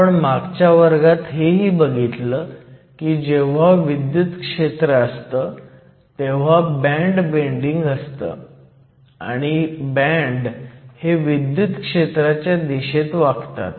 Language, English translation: Marathi, In last class, we also saw that whenever we have an electric field, we have band bending and the bands bend in the direction of the fields